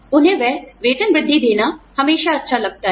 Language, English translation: Hindi, It is always nice to give them, those pay raises